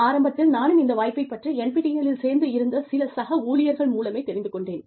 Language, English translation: Tamil, I also came to know, about this initially, the NPTEL program, through some of my colleagues, who enrolled in it